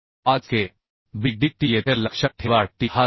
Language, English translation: Marathi, 5 kb dt remember here t is 7